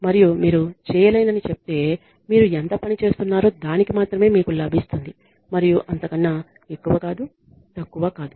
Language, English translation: Telugu, And you are told that if you do not you know you will only get what how much what you work for and no more no less